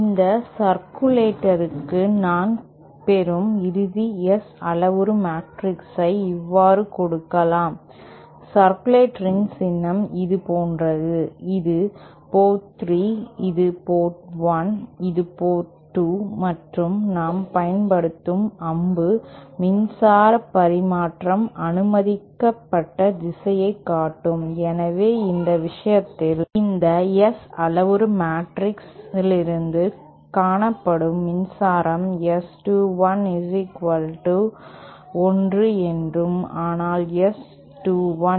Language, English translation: Tamil, the final S parameter matrix that I get for this circulator can be given asÉ The symbol of a circulator is like this, this is port 3, this is port 1, this is port 2 we use and arrow to show the direction in which power transfer is allowed, so in this case, power as also seen from this S parameter matrix, we see that S 21 equal to1 but S21 equal to 0